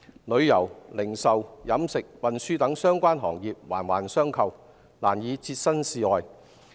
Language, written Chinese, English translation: Cantonese, 旅遊、零售、飲食、運輸等相關行業環環相扣，難以置身事外。, Tourism retail catering and transportation - related industries are intertwined and no one can escape unscathed from the problem